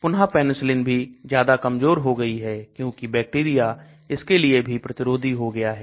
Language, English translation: Hindi, Again Penicillin also has become very meek; bacteria become resistant to that